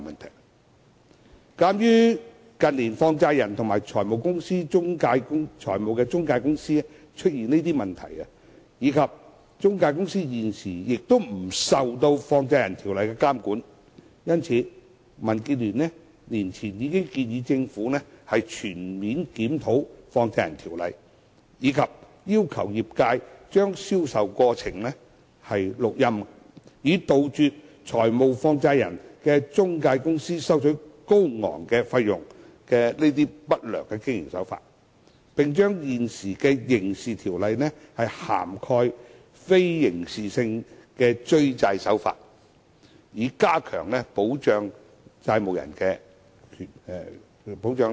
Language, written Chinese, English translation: Cantonese, 有鑒於近年放債人及財務中介公司出現的問題，以及中介公司現時不受《放債人條例》監管，民主建港協進聯盟年前已建議政府全面檢討《放債人條例》，以及要求業界將銷售過程錄音，以杜絕財務放債人的中介公司收取高昂費用的不良經營手法，並將現有的刑事條例涵蓋非刑事性的追債手法，以加強保障債務人。, In view of the problems with money lenders and financial intermediaries in recent years and the fact that intermediaries are currently not subject to the Money Lenders Ordinance the Democratic Alliance for the Betterment and Progress of Hong Kong DAB proposed a year ago that the Government should conduct a comprehensive review of the Money Lenders Ordinance and require the industry to keep audio records of the sales process in order to stop intermediaries of money lenders from adopting the unscrupulous practice of charging exorbitant fees on borrowers . We also proposed that non - criminal debt recovery practices be brought under the ambit of the existing criminal laws to afford greater protection to debtors